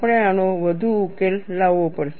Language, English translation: Gujarati, We have to solve this further